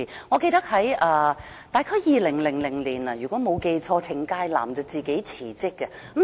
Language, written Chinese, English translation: Cantonese, 我記得大約在2000年，如果沒有記錯，程介南自行辭職。, I remember it was in 2000―if I have not got it wrong―that Gary CHENG resigned from office of his own accord